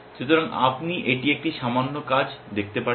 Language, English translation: Bengali, So, you can see it is a little bit of work